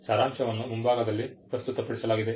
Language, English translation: Kannada, The abstract is presented up front